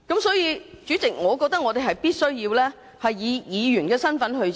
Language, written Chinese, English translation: Cantonese, 因此，主席，我們必須以議員的身份展開調查。, Therefore President we must conduct an investigation in our capacity as Members of the Legislative Council